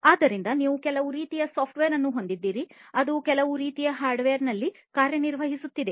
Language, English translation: Kannada, So, you have some kind of software that is working on some kind of hardware